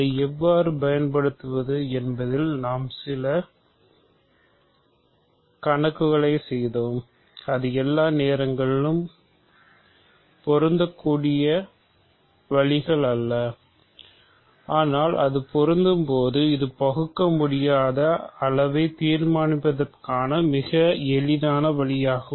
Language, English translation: Tamil, And we also did some problems on how to use it, it is not always applicable, but when its applicable, it is a very easy way of determining irreducibility